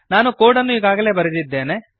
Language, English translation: Kannada, I have already written the code